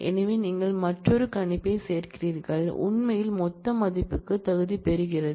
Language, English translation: Tamil, So, you are adding another predicate for actually qualifying the aggregated value